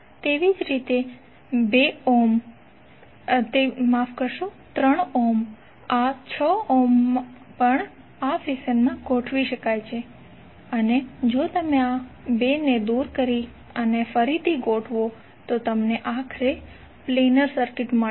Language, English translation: Gujarati, Similarly this particular 6 ohm is also can be arranged in this fashion and if you remove this 2 and rearrange you will eventually get a planar circuit